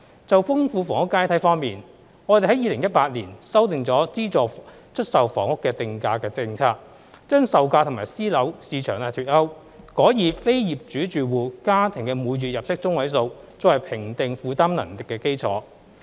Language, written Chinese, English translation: Cantonese, 就豐富房屋階梯方面，我們在2018年修訂了資助出售房屋的定價政策，將售價與私樓市場脫鈎，改以非業主住戶家庭每月入息中位數作為評定負擔能力的基礎。, On enriching the housing ladder we revised the pricing policy on subsidised sale flats SSFs in 2018 by delinking the selling prices of SSFs from prices of the private housing market and using the median monthly household income of non - owner occupier households as the basis of affordability benchmark instead